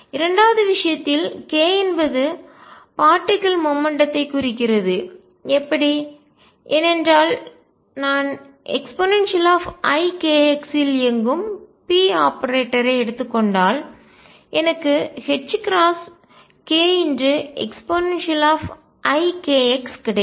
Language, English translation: Tamil, In the second case k represents the momentum of the particle, how so; because if I take p operator operating on e raise to i k x I get h cross k e raise to i k x